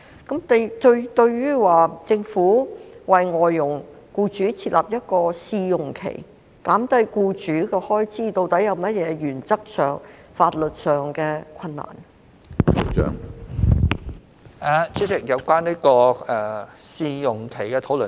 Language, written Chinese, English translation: Cantonese, 關於政府為外傭僱主設立試用期，減低其開支，究竟在原則和法律上有甚麼困難呢？, Concerning the Governments introduction of a probation period to reduce the expenses of employers of FDHs what actual difficulties are there in principle and in law?